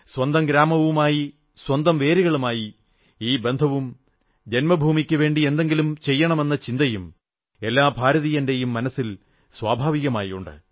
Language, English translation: Malayalam, A sense of belonging towards the village and towards one's roots and also a spirit to show and do something is naturally there in each and every Indian